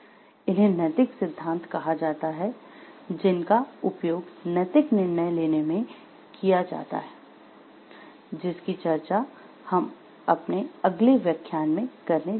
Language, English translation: Hindi, These are called the ethical theories which are involved, that are used in making ethical decisions which we are going to focus on in our next lecture